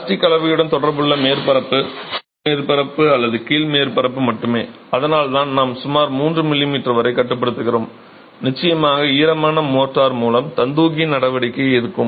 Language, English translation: Tamil, The surface that is in contact with plastic motor is only that top surface or the bottom surface and that's why we are restricting ourselves to about 3 m m and of course there is going to be capillary action with the wet motor that is in contact with the brick unit itself